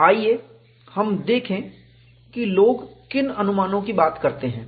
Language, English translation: Hindi, Let us see, what are the approximations people talk about